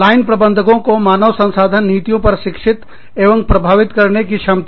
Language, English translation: Hindi, Ability to educate and influence, line managers on HR policies